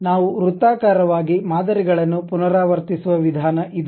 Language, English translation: Kannada, This is the way we repeat the patterns in circular way